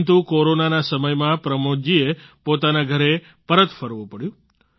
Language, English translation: Gujarati, But during corona Pramod ji had to return to his home